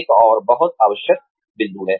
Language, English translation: Hindi, Another, very essential point